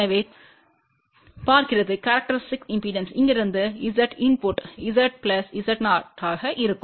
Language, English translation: Tamil, So, looking from here Z input will be Z plus Z 0